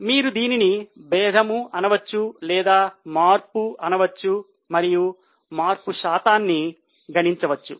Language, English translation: Telugu, So, either you can call it difference or you can call it change and we will also calculate percentage change